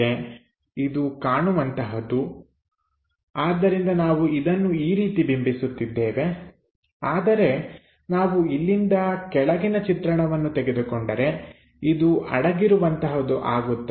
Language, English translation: Kannada, This one is a visible one so, we are representing it in that way, but if we are picking bottom view from here, this is hidden